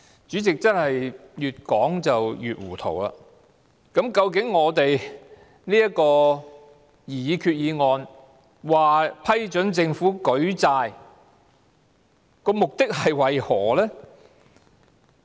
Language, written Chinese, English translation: Cantonese, 主席，政府真是越說越糊塗，究竟這項擬議決議案批准政府舉債的目的為何？, President the Government has made it even more confusing . What exactly is the purpose of the proposed Resolution to allow the Government to make borrowings?